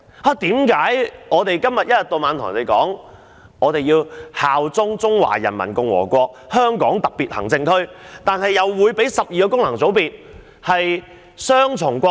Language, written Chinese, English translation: Cantonese, 為何政府一天到晚要人效忠中華人民共和國香港特別行政區，但又准許12個功能界別的成員擁有雙重國籍？, Why does the Government which constantly tells people to pledge allegiance to the Hong Kong Special Administrative Region SAR of the Peoples Republic of China allows the members of 12 FCs to have dual nationality?